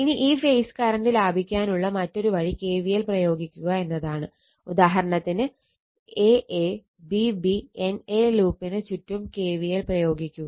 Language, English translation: Malayalam, So, now another way to get this phase current is to apply KVL, for example, applying KVL around loop, so, aABbna right